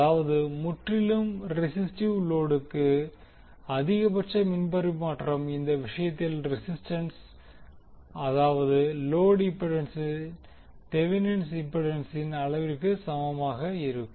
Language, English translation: Tamil, Tthat means that the maximum power transfer to a purely resistive load the load impedance that is the resistance in this case will be equal to magnitude of the Thevenin impedance